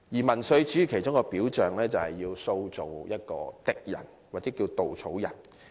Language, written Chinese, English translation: Cantonese, 民粹主義的其中一個表象，就是要塑造一個敵人或稻草人。, One manifestation of populism is the creation of an enemy or a straw man known as the Other